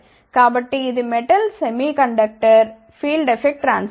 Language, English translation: Telugu, So, this is a metal semi conductor field effect transistor